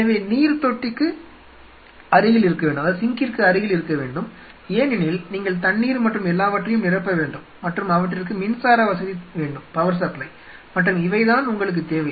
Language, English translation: Tamil, So, close to the sink because you have to fill water and everything and they need a power supply and that is all you need it